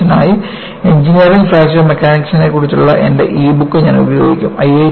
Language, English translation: Malayalam, And, you know, for this course, I will be using my book on, e book on Engineering Fracture Mechanics